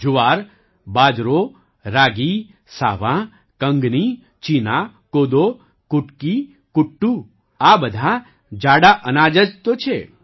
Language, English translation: Gujarati, Jowar, Bajra, Ragi, Sawan, Kangni, Cheena, Kodo, Kutki, Kuttu, all these are just Millets